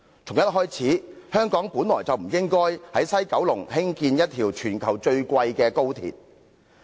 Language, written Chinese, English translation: Cantonese, 從一開始，香港便不應在西九龍興建一條全球最昂貴的高鐵。, XRL the worlds most expensive high - speed rail link should not be built in West Kowloon of Hong Kong right from the start